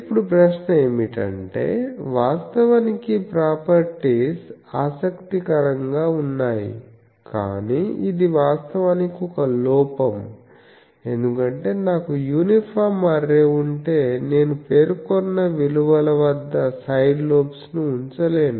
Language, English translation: Telugu, Now, the question is actually these properties are interesting, but this is actually a drawback, because you see that if I have an uniform array, I cannot put side lobes at my specified values